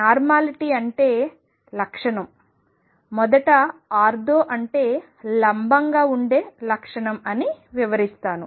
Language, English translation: Telugu, And let me explain normality is the property that we in first ortho means perpendicular